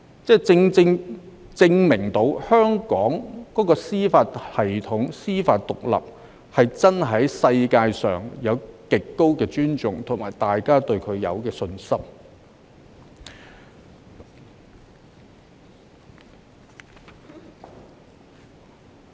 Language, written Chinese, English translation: Cantonese, 這恰恰證明香港的司法系統和司法獨立在全球備受尊重，大家對此有信心。, This rightly proves that the judicial system and judicial independence of Hong Kong are respected worldwide and people have confidence in this